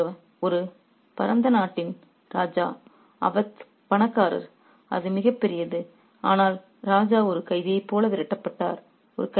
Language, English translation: Tamil, The king of a vast country like Awed, Awed was rich, it was massive, but he was and the king was driven away like a prisoner